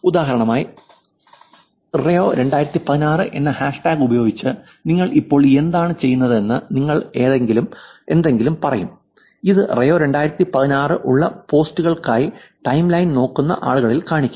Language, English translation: Malayalam, Now just further talking about for example, you would say something about what you are doing now with the hashtag Rio 2016 which will actually show up on people who are looking at timeline for the posts which has Rio 2016